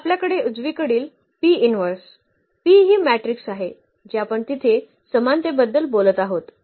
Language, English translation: Marathi, So, the right hand side we have P inverse, P is that matrix which we are talking about the similarity there